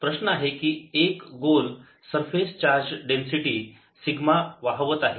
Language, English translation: Marathi, so the problem is: a sphere carries surface charge, density, sigma